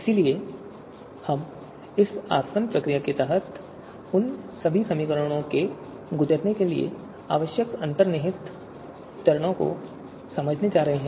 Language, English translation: Hindi, So we are going to understand the underlying steps that are required to perform, to go through all those computation under this distillation procedure